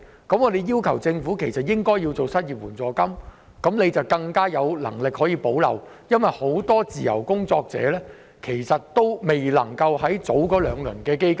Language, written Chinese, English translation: Cantonese, 我們要求政府提供失業援助金，以發揮更大的補漏功能，因為很多自由工作者均未能受惠於現時的兩輪基金。, We demand that the Government set up an unemployment assistance fund to plug the gap more effectively . Many freelance workers have been left out from the two rounds of the fund